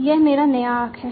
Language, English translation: Hindi, This is my new arc